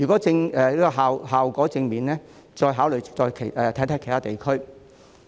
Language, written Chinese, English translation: Cantonese, 若效果正面，可再考慮在其他地區推行。, It can be considered for implementation in other regions should the effect be positive